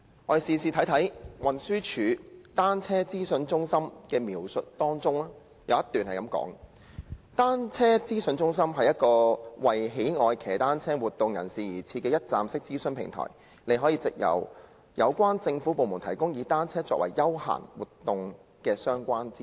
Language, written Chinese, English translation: Cantonese, 我們且看看運輸署對單車資訊中心的簡介，當中有一段是這樣說的："單車資訊中心是一個為喜愛騎單車活動人士而設的'一站式'資訊平台......你可以找到有關政府部門提供以單車作為休閒活動的相關資訊。, We can look at the introduction for the Cycling Information Centre in which a paragraph states Cycling Information Centre CIC is a one - stop information platform for the public at large who are interested in cycling activities you will find relevant information supplied by various Government departments on recreational and leisure cycling activities